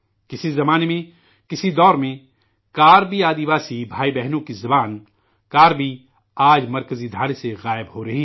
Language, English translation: Urdu, Once upon a time,in another era, 'Karbi', the language of 'Karbi tribal' brothers and sisters…is now disappearing from the mainstream